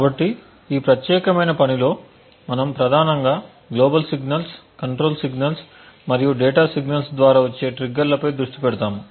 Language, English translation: Telugu, So, in this particular work we focus mainly on the triggers that could come through the global signals the control signals and the data signals